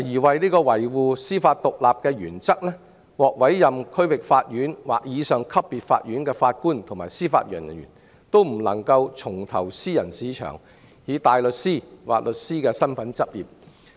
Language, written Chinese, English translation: Cantonese, 為維護司法獨立的原則，獲委任為區域法院或以上級別法院的法官及司法人員，均不能重投私人市場以大律師或律師身份執業。, For the purpose of upholding the principle of judicial independence JJOs at District Court level and above cannot return to private practice as a barrister or solicitor after judicial appointment